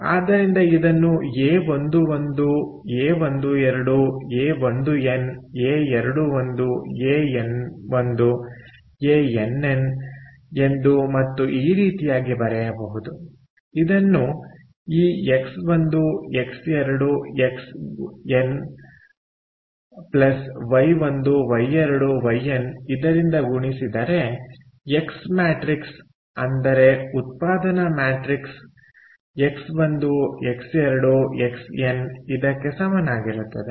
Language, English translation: Kannada, ok, this also can be written, therefore, as a one, one, a one, two a one, n, a two, one, a n, one a nn, and like this: right times what, x, one x two, xn plus y, one, y, two, yn is equal to what is equal to the same thing: the x matrix, the production matrix, x, one x, two, xn